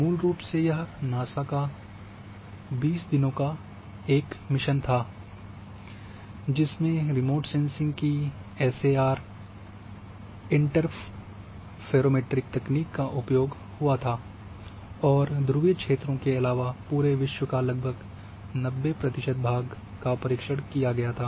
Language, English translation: Hindi, Basically, it was a 20 days mission of NASA which uses the SAR interferometric technique of remote sensing and covers the entire globe almost the 90 percent of the globe except the Polar Regions